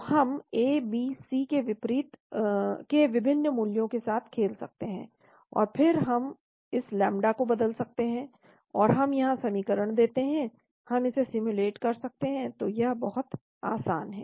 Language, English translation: Hindi, So we can play with the different values of A, B, C and then we can change this lambda, so we give the equation here , we can simulate it so it is very easy